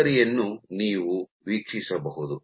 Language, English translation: Kannada, So, you can watch your sample